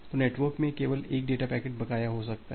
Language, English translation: Hindi, So, only one data packet can be outstanding in the network